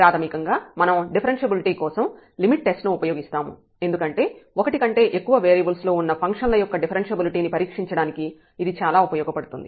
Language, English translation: Telugu, And basically we will go through the limit test for differentiability, and that is very useful to test differentiability of a function of more than one variable